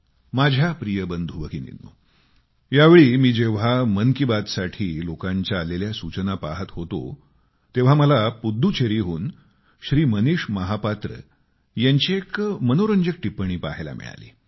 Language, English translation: Marathi, My dear brothers and sisters, when I was going through your suggestion for Mann Ki Baat this time, I found a very interesting comment from Shri Manish Mahapatra from Pudducherry